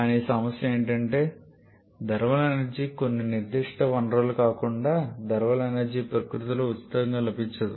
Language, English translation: Telugu, But the issue is that thermal energy apart from some certain sources thermal energy is not freely available in nature